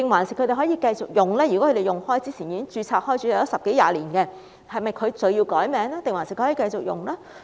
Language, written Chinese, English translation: Cantonese, 如果他們一直使用這個名稱，或之前已經註冊十多二十年，是否需要更改名稱還是可以繼續使用？, If they have registered under such names for 10 to 20 years will they be required to change the name or can they continue to use the name?